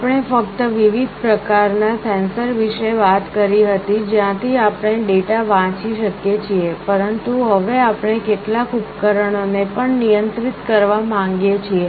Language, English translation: Gujarati, We only talked about different kind of sensors from where we can read the data, but now we want to also control some devices